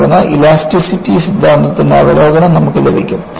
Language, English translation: Malayalam, Then, you will have Review of Theory of Elasticity